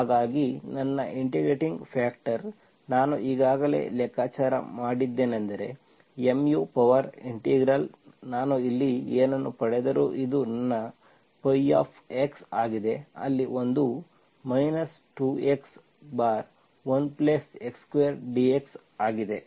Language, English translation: Kannada, So my integrating factor, I already calculated is, mu is e power integral whatever I get here, this is my phi of x, there is one is to x divided by 1+ x square dx